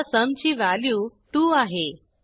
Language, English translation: Marathi, Now sum has the value 2